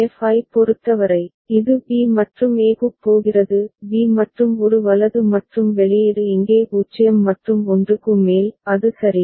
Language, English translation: Tamil, For f, it is going to b and a; b and a right and output is 0 over here and 1 over there; is it ok